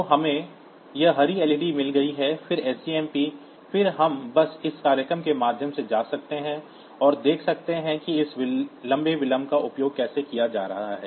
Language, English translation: Hindi, we have got this green led then sjmp again we can just go through this program, and see that how this long delay is being used